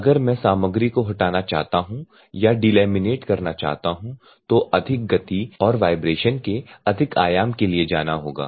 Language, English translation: Hindi, So, if at all I want to remove the material or delaminate material then you have to go for higher speeds and higher amplitudes of vibrations